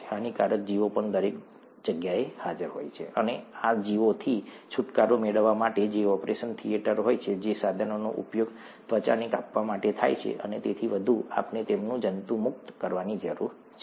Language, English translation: Gujarati, The harmful organisms are also present everywhere, and to get rid of these organisms in the place of interest, which happens to be the operation theatre, the instruments which are used to cut the skin and so on, we need to sterilize them